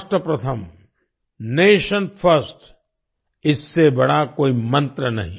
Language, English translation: Hindi, Rashtra Pratham Nation First There is no greater mantra than this